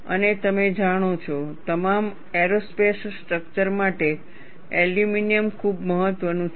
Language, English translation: Gujarati, And you know, for all aerospace structures, aluminum is very important